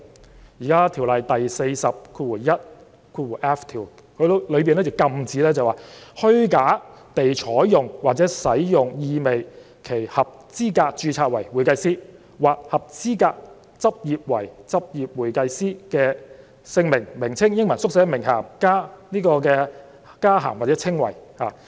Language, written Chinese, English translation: Cantonese, 《專業會計師條例》第 421f 條禁止任何人"虛假地採用或使用意味其合資格註冊為會計師或合資格執業為執業會計師的姓名或名稱、英文縮寫、名銜、加銜或稱謂"。, Section 421f of the Ordinance prohibits any person from falsely taking or using any name initials title addition or description implying that he is qualified to be registered as a certified public accountant or to practice as a certified public accountant